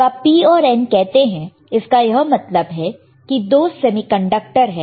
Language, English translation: Hindi, So, when you say P and N, that means, that you have two semiconductors